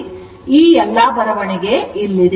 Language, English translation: Kannada, So, all this write up is here